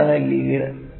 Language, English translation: Malayalam, What is the lead